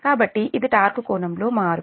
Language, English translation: Telugu, so this is the change in torque angle